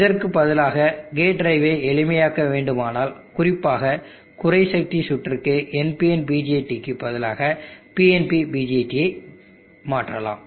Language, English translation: Tamil, Alternately, if we need to main the gate drive simpler especially for low power circuits we can replace the NPN BJT with the PNP BJT what happens